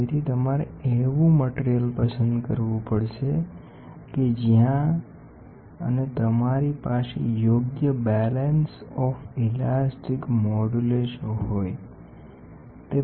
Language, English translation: Gujarati, So, you have to choose a material where and which you have a proper balance of elastic modulus